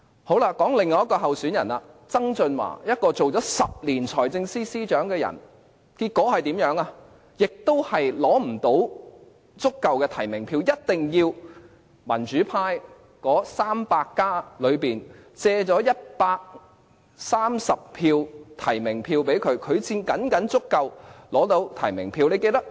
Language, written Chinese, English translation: Cantonese, 說說另一位候選人曾俊華，他曾擔任財政司司長10年，結果也無法取得足夠的提名票，一定要"民主 300+" 借出130張提名票，他才僅僅取得足夠提名票。, Let me talk about another candidate John TSANG . Despite his previous career as the Financial Secretary for 10 years he was also unable to secure enough nominations . Only through borrowing 130 votes from Democrats 300 could he barely secure the required nominations to enter the race